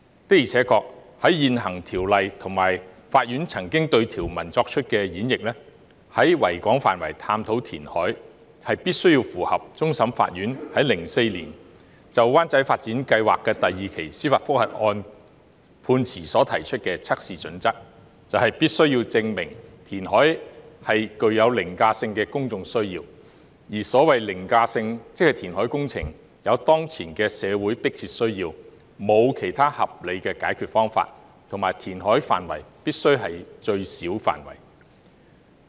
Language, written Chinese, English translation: Cantonese, 的而且確，根據現行《條例》及法院曾經對條文作出的演譯，在維多利亞港範圍探討填海，必須符合終審法院在2004年就灣仔發展計劃第二期的司法覆核案判詞所提出的測試準則，即必須證明填海具有凌駕性的公眾需要，而所謂凌駕性，即填海工程有當前的社會迫切需要，沒有其他合理的解決方法，以及填海範圍必須是最小的範圍。, Indeed according to the existing Ordinance and the Courts interpretation of the provisions exploration of reclamation within the Victoria Harbour must satisfy the test set out in the judgment of the Court of Final Appeal in the judicial review on Wan Chai Development Phase II in 2004 ie . it must be proved that there is an overriding public need for the reclamation . By overriding it means there is a present and compelling social need for the reclamation and there is no other reasonable solution